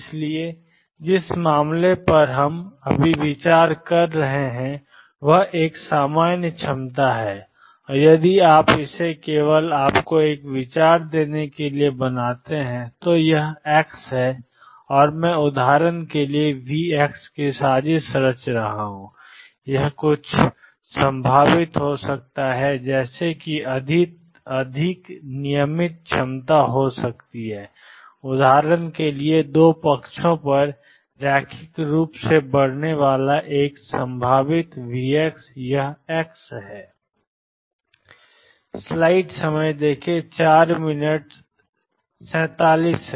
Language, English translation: Hindi, So, the case we are considering now, is a general potential and if you make it just to give you an idea this is x and I am plotting v x for example, it could be some potential like this more regular potentials could be for example, a potential increasing linearly on 2 sides this is v x this is x